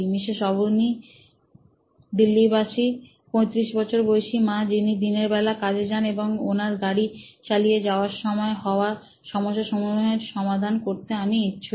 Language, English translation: Bengali, Mrs Avni, 35 year old mom in Delhi works during the day and in the part where I am interested in to solve a problem to help her out in mom driving to work